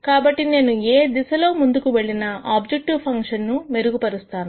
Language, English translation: Telugu, So, if I move in any of these directions I am going to increase my objective function